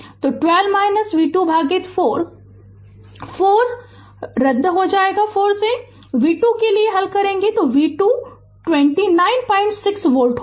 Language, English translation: Hindi, So, 12 minus v 2 by 4, 4 4 will be cancel you solve for v 2, v 2 will be 9